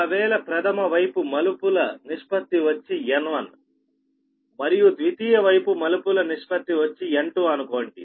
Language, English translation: Telugu, that is suppose primary side trans ratio is n one and secondary side trans ratio is n two